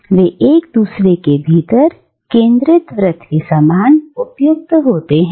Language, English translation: Hindi, They fit as if they are concentric circles, one within the other